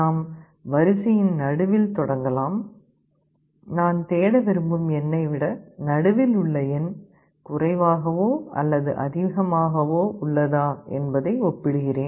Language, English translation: Tamil, I can start with the middle of the array; I compare whether the middle element is less than or greater than the element I want to search